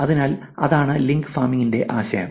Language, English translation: Malayalam, So, that is the idea for link farming